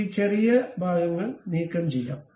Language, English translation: Malayalam, And we can remove this one these tiny portions